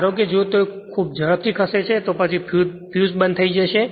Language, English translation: Gujarati, Suppose, if you move it very fast; then, fuse will be off